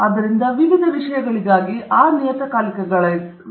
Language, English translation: Kannada, So, for various topics, there are journals okay